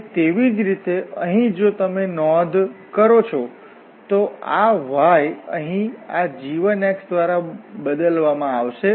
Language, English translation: Gujarati, And similarly here if you note this y here is replaced with this g 1 x